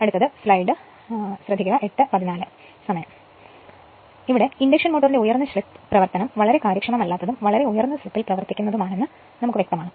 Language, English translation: Malayalam, So, it is there it is then evident that high slip operation of induction motor would be highly inefficient and if you operate at a very high slip